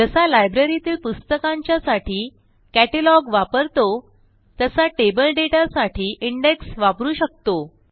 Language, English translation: Marathi, We can use indexes for table data, like we use a catalogue for a Library of books